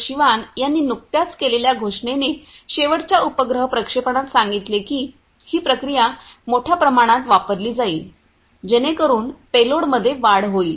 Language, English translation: Marathi, Sivan told in the last you know satellite launching, that they are going to use this process to a large extent so that there is increase in the payload